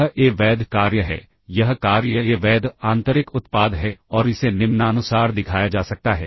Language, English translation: Hindi, This is a valid this assignment is a valid inner product and this can be shown as follows